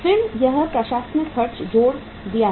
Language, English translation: Hindi, Then it is the administrative expenses we have added